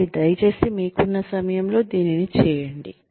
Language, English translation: Telugu, So, please do it in your own time